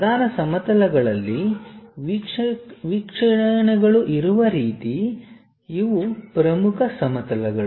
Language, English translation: Kannada, The way views are there on principal planes, these are the principal planes